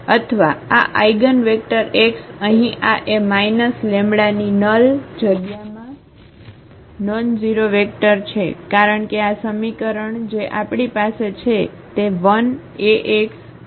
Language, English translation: Gujarati, Or, this eigenvector x here is a nonzero vector in the null space of this A minus lambda I, because this equation which we have a is equal to l Ax is equal to lambda x